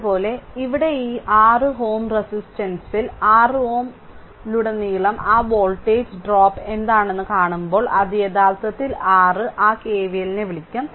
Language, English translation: Malayalam, Similarly, here in this 6 ohm resistance 6 ohm resistance when you see that there what is that voltage drop across 6 ohm resistance it will be actually because we have to apply your what we call that your KVL